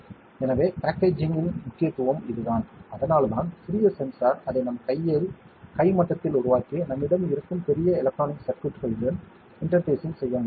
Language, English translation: Tamil, So, that is the importance of packaging, so that is how the small sensor we have made it in a size that is hand level in our hand and we can interface with a bigger electronic circuits that we might be having